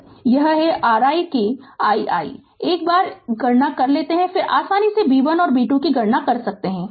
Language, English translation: Hindi, So, this is your i that i i once you comp once you compute the i, then you can easily compute the b 1 and b 2